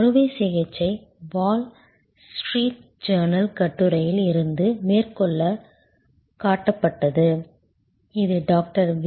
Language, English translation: Tamil, surgery, quoting from a Wall Street Journal article which was a favorite quote of Dr, V